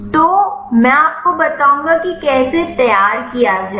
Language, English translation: Hindi, So, I will show you how to prepare that